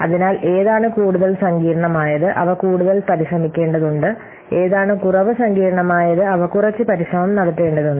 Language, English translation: Malayalam, So which one is highly complex, we have to put more effort and which one is less complex, we have to put less effort